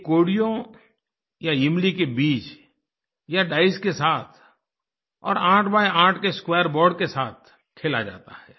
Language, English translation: Hindi, It is played with cowries or tamarind seeds or dice on an eight by eight square board